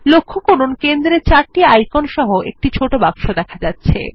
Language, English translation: Bengali, Notice a small box with 4 icons in the centre